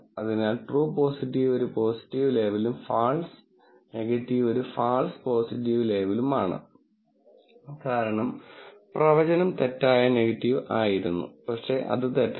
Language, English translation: Malayalam, So, true positive is a positive label and false negative is also false positive label, because, the prediction was negative, but that is false